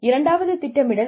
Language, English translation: Tamil, Two is planning